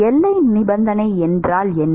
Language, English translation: Tamil, What are the boundary conditions